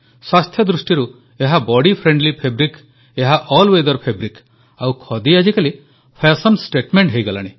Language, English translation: Odia, In terms of health, this is a body friendly fabric, an all weather fabric and now it has also become a fashion statement